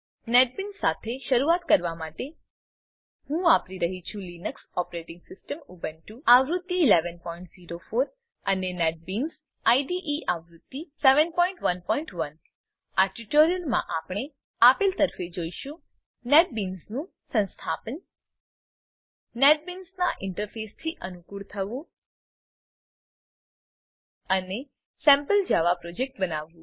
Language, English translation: Gujarati, To get started with Netbeans, I am using the Linux operating system Ubuntu, version 11.04 and Netbeans IDE version 7.1.1 In this tutorial , we will look at the installation of Netbeans, get familiarised with the interface of Netbeans, and Create a sample Java Project